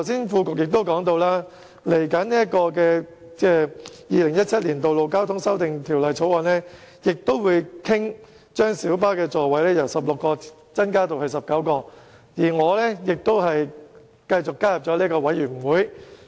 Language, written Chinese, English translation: Cantonese, 副局長剛才也提到，接下來的《2017年道路交通條例草案》亦會討論把公共小巴的座位數目由16個增至19個，而我亦再次加入了有關法案委員會。, The Under Secretary has also mentioned just now that the Road Traffic Amendment Bill 2017 seeks to increase the maximum seating capacity of PLBs from 16 to 19 seats . I have also joined the relevant Bills Committee